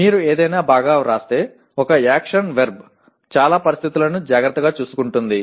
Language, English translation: Telugu, If you write something well, one action verb can take care of most of the situations